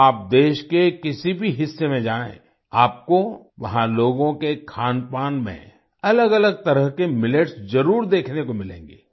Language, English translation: Hindi, If you go to any part of the country, you will definitely find different types of Millets in the food of the people there